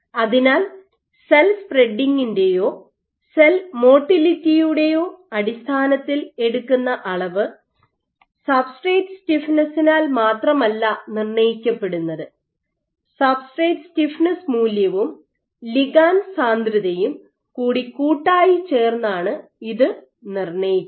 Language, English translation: Malayalam, So, the measure that, the quantify that you measure either in terms of cell spreading or cell motility is not only dictated by the substrate stiffness, but it is in a collectively determined by substrate stiffness value and the ligand density